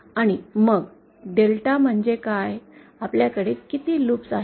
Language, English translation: Marathi, And then what is delta, how many loops do we have